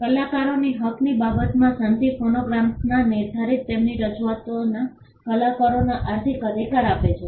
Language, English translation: Gujarati, With regard to the right of performers the treaty grants performers economic rights in their performances fixed in phonograms